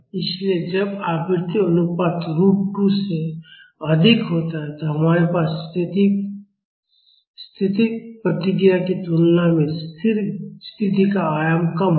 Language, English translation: Hindi, So, when the frequency ratio is higher than root 2, we will have a steady state amplitude less than the static response